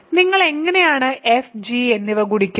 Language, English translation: Malayalam, So, how do you multiply f and g